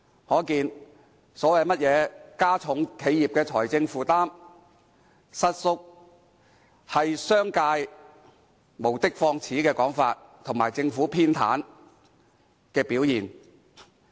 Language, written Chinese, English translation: Cantonese, 可見有關加重企業財政負擔的論點，實屬商界無的放矢的說法，以及政府偏袒的表現。, It can therefore be concluded that the argument that the abolition will impose a heavier burden on enterprises is an unsubstantiated claim of the business sector and a proof of the Governments favouritism